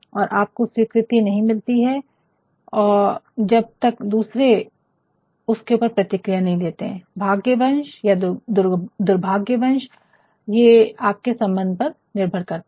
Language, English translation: Hindi, And, you do not get acceptability unless and until others respond to it, favourably or unfavourably that depends because that depends upon the relationship as well